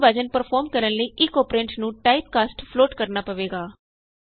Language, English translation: Punjabi, To perform real division one of the operands will have to be typecast to float